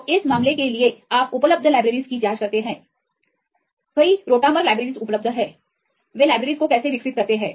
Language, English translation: Hindi, So, for this case you check for the available libraries right there are several rotamer libraries are available how they develop the libraries